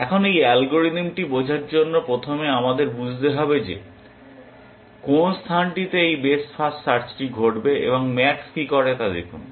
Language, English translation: Bengali, Now, to understand this algorithm first we must understand what is the space in which this best first search will happen, and look at what max does